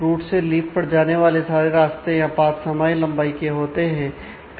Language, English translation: Hindi, All paths from root two leaf are of the same length